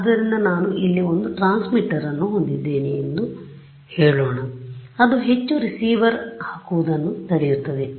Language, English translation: Kannada, So, let us say I have one transmitter over here, what prevents me from putting